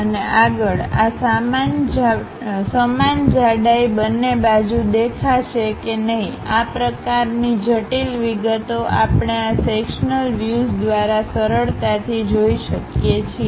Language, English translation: Gujarati, And further, whether this same thickness we will see it on both sides or not; this kind of intricate details we can easily observe through this sectional views